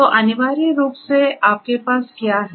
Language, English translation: Hindi, So, essentially what you have